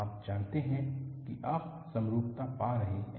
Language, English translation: Hindi, You know, you observe symmetry